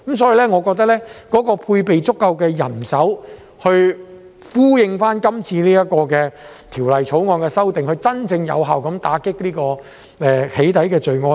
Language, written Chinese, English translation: Cantonese, 所以，我覺得要配備足夠人手以呼應今次《條例草案》的修訂，真正有效打擊"起底"罪案。, With this in mind I think there should be adequate manpower to go with the amendments proposed by this Bill so as to combat the crime of doxxing in a truly effective manner